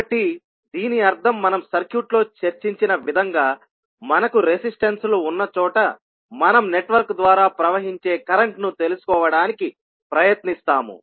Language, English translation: Telugu, So that means that what we have discussed in the circuit like this where we have the resistances and we try to find out the current flowing through the network